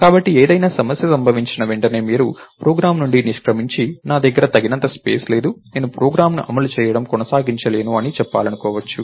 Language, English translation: Telugu, So, the moment some problem happens, you may want to exit from the program and say, I didn't have enough space, I couldn't have continued running the program